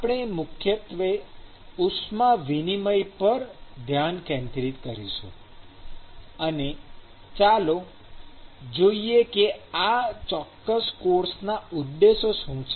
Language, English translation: Gujarati, We will focus primarily on heat transfer and let us look at what are the objectives of this particular course